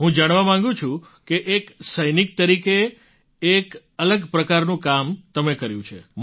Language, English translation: Gujarati, I would like to know as a soldier you have done a different kind of work